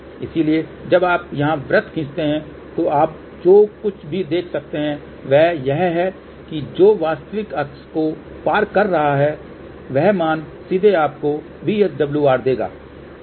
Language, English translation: Hindi, So, when you draw the circle here, what you can see whatever is this value which is crossing the real axis that value here will directly give you the VSWR value which is 3